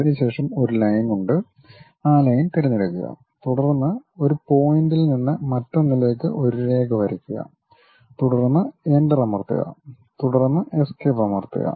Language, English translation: Malayalam, Then there is a Line, pick that Line, then from one point to other point draw a line then press Enter, then press Escape